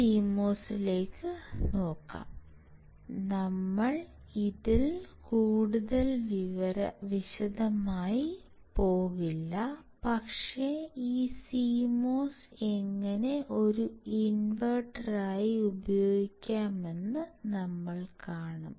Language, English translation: Malayalam, We will not go too much detail into this, but we will just see how this CMOS can be used as an invertor